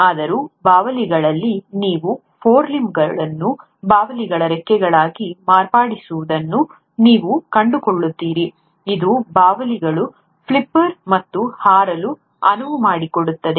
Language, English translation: Kannada, Yet, you find that in bats, you have these forelimbs modified into wings of bats, which allows the bats to flipper and fly